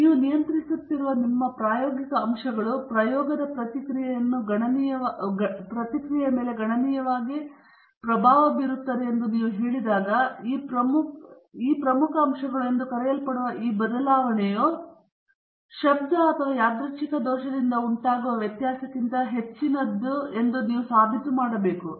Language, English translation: Kannada, So, when you claim that your experimental factors which you are controlling are impacting the response of the experiment significantly, then you have to prove that this variability caused by these so called important factors is much higher than the variability caused by noise or random error